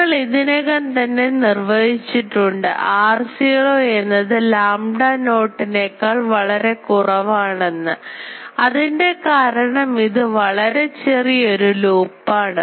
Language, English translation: Malayalam, So, already we have defined that r naught is much much less than lambda naught because that is our small loop